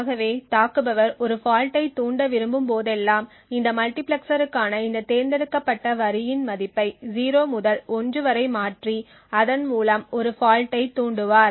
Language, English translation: Tamil, So whenever an attacker wants to induce a fault he would change the value of this select line for this multiplexer from 0 to 1 and thereby inducing a fault